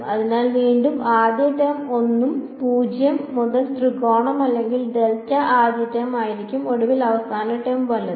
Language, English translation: Malayalam, So again, first term will be a 1, 0 to triangle or delta first term and finally, the last term right